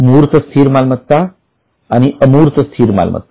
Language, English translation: Marathi, There are two types tangible fixed assets and intangible fixed assets